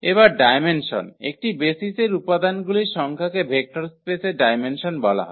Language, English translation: Bengali, So now, the dimension so, the number of elements in a basis is called the dimension of the vector space